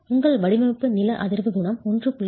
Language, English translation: Tamil, Your seismic coefficient will increase